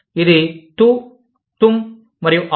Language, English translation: Telugu, It is, TU, TUM, and AAP